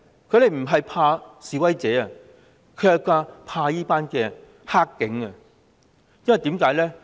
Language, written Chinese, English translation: Cantonese, 他們不是怕示威者，而是怕"黑警"，為甚麼呢？, Why? . They are not afraid of the protesters; they are afraid of the bad cops . Why?